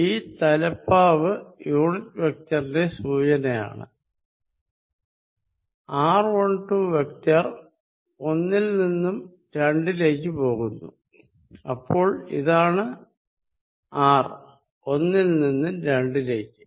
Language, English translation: Malayalam, Now, you will see that just write r 1 2 vector from going from 1 to 2, so this is r from 1 to 2